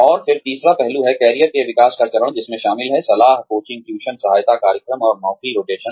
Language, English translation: Hindi, And then, the third aspect is, development phase of career development, which includes, mentoring, coaching, tuition assistance programs, and job rotation